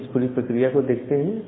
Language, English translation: Hindi, So, let us look into the entire thing